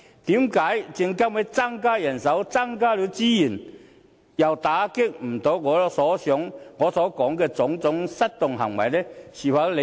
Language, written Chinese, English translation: Cantonese, 為何證監會增加人手、增加資源後，又無法打擊我所提及的種種失當行為呢？, How come SFC is still incapable of combating the various misconducts that I have mentioned even after increasing its manpower and resources?